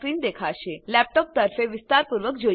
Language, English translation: Gujarati, Now, let us briefly look at a laptop